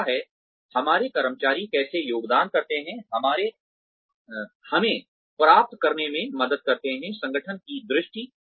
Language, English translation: Hindi, The third is, how do our employees contribute, to helping us to achieving, the vision of the organization